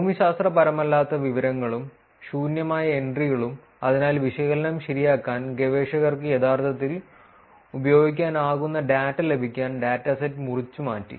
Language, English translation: Malayalam, Non geographic information and empty entries, so essentially the dataset was pruned to get data which the researchers can actually use to do the analysis right